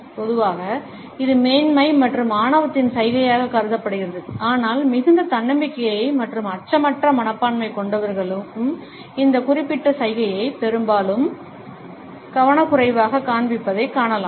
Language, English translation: Tamil, Normally, it is considered to be a gesture of superiority and arrogance, but very often we find that people who are highly self confident and have a fearless attitude also often inadvertently display this particular gesture